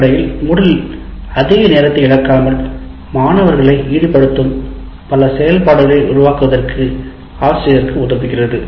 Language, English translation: Tamil, Essentially, Moodle allows you, allows the teacher to create many activities that engage students without losing too much of time